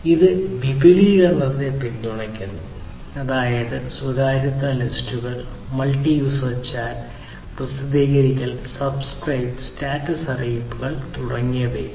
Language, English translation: Malayalam, It supports extensibility; that means, supporting privacy lists, multi user chat, publish/subscribe chat, status notifications etc